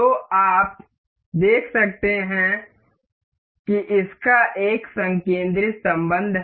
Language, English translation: Hindi, So, you can see this has a concentric relation